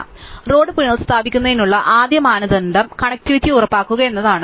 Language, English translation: Malayalam, So, the first criteria for the government to restore road is to ensure connectivity